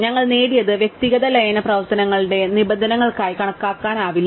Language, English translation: Malayalam, So, what we have gained cannot be really accounted for terms of individual merge operations